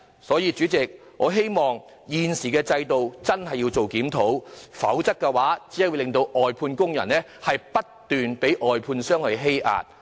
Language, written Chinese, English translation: Cantonese, 代理主席，我希望政府真的會檢討現行制度，否則外判工人只會不斷被外判商欺壓。, Deputy President I hope the Government will really review the existing system . Otherwise outsourced workers will only be subjected to continuous suppression by outsourced service contractors